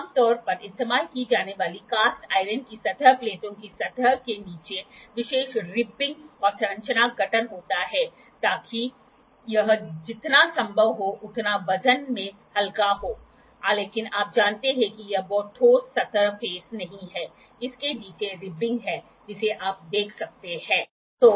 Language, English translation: Hindi, The commonly used cast iron surface plates has special ribbing and structures formation under the surface so, that this will be as light in the weight as possible, but you know it is not very solid surface phase it is having ribbings below it you can see